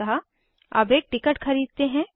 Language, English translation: Hindi, So let us buy a ticket now